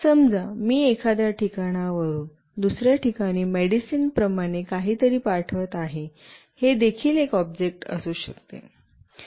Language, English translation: Marathi, Let us say I am sending something from one place to another like a medicine, that could be also an object